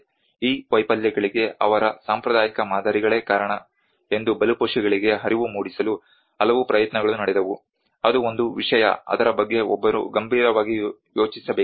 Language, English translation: Kannada, So many attempts were made to make the victims realize that their traditional models are the reasons for these failures that is one thing one has to seriously think about it